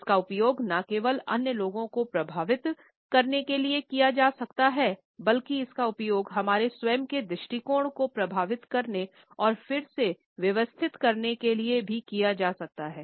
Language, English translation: Hindi, And, it can be used not only to influence other people, but it can also be used to influence and reshape our own attitudes